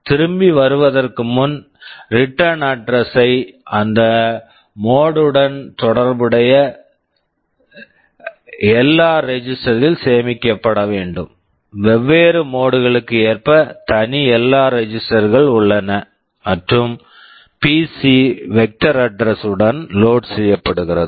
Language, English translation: Tamil, Then before coming back the return address will have to store in LR register corresponding to that mode, there are separate LR registers for the different modes and PC is loaded with the vector address